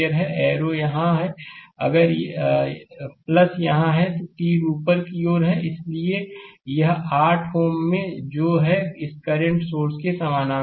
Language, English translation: Hindi, Arrow is here if plus is here, so arrow is upward, so this 8 ohm is in your what you call is in parallel with this current source